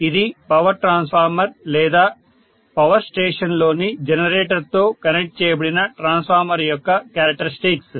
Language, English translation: Telugu, So that is the characteristic of a power transformer or a transformer which is connected to a generator in the power station